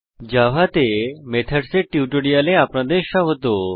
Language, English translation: Bengali, Welcome to the Spoken Tutorial on methods in java